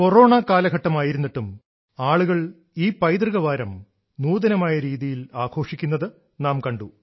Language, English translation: Malayalam, In spite of these times of corona, this time, we saw people celebrate this Heritage week in an innovative manner